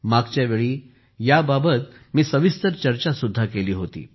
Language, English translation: Marathi, I had also discussed this in detail last time